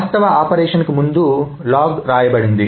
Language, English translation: Telugu, So, log is written before the actual operation